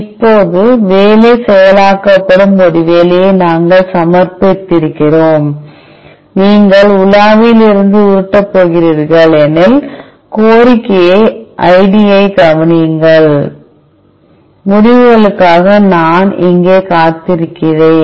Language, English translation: Tamil, Now, that we have submitted a job the job is being processed, note down the request ID in case you are going to scroll from the browser, I am waiting here for the results